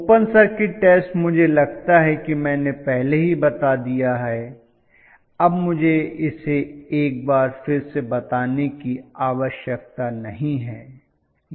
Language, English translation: Hindi, Open circuit test I think I have already told I do not need to specify it once again